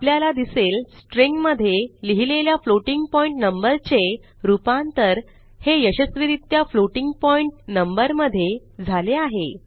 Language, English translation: Marathi, We can see that the string containing a floating point number has been successfully converted to floating point number